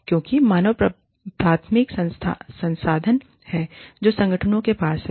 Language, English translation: Hindi, Because, human beings are the primary resource, that organizations have